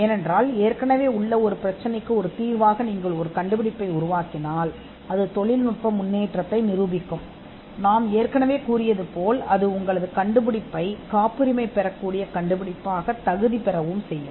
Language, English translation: Tamil, Because if you draft an invention as a solution to an existing problem, it would demonstrate technical advance what we had covered earlier, and it would also qualify your invention as a patentable invention